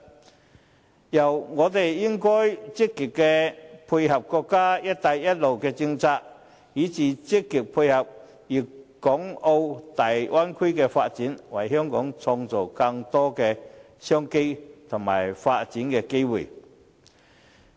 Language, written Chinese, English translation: Cantonese, 此外，我們應該積極配合國家的"一帶一路"政策，以至積極配合粵港澳大灣區的發展，為香港創造更多的商機和發展機會。, Moreover we should proactively tie in with our countrys policies pertaining to the Belt and Road Initiative and even operate positively in coordination with the development of the Guangdong - Hong Kong - Macao Bay Area so as to create more business opportunities and chances for development